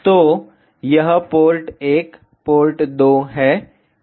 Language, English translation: Hindi, So, this is port 1 port 2